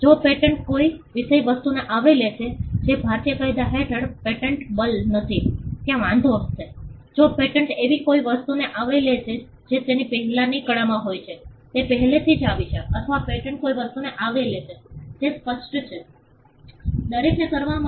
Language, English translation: Gujarati, If the patent covers a subject matter which is not patentable under the Indian law there will be an objection, if the patent covers something which is already preceded it in the art it is preceded, it is already come or the patent covers something which is obvious for everybody to do